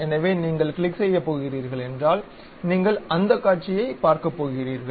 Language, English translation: Tamil, So, if you are going to click that you are going to see that view